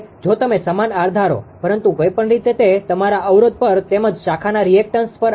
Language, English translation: Gujarati, If you assume same r right, but but anyway it depends on the your resistance as well as the reactance of the branch right